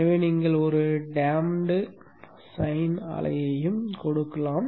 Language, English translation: Tamil, So you can give a damped sign wave also